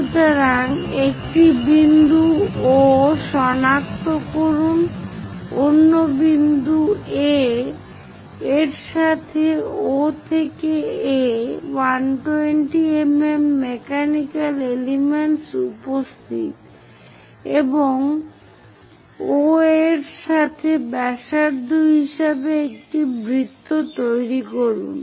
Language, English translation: Bengali, So, locate a point O another point A with O to A a 120 mm mechanical element is present and construct a circle with OA as radius